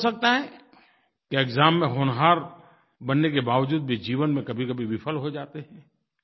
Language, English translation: Hindi, Thus, you may find that despite becoming brilliant in passing the exams, you have sometimes failed in life